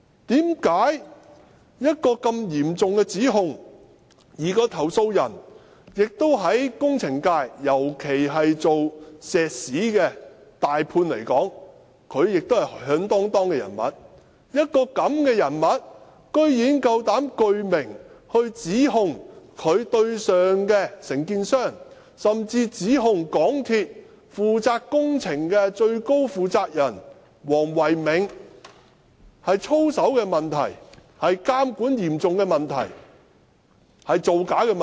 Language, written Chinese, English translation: Cantonese, 這是嚴重的指控，而該名投訴人在工程界，尤其是以做石屎的"大判"來說，是響噹噹的人物，這樣的人物居然膽敢具名指控在其上線的承建商，甚至指控港鐵公司負責工程的最高負責人黃唯銘有操守問題、有嚴重的監管問題、造假問題。, The statements made by China Technology contain grave allegations and the complainant is a well - known figure in the engineering sector especially among major subcontractors specializing in concrete construction . This person is brave enough to level allegations at his superior the contractor and even at Dr Philco WONG Nai - keung the highest man taking charge of MTRCL projects of integrity issues serious monitoring problems and non - compliant issues . The complainant has made traceable allegations